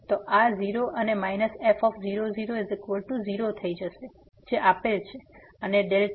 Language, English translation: Gujarati, So, this will become 0 and minus is 0 that is given and delta